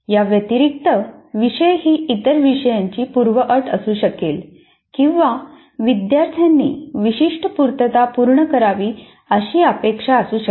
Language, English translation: Marathi, And further, a course may be a prerequisite to some other course or a course expects certain prerequisites to be fulfilled by the students